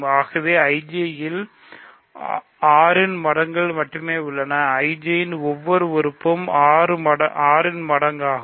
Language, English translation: Tamil, So, IJ contains only multiples of 6s, multiples of 6, every element of IJ is a multiple of 6